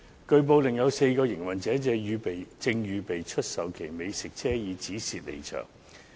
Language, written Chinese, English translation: Cantonese, 據報，另有4個營運者正準備出售其美食車以止蝕離場。, It has been reported that another four operators are making preparations to sell their food trucks in order to cut losses and exit the scheme